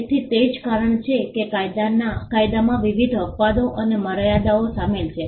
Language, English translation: Gujarati, So, that is the reason why we have various exceptions and limitations included in the law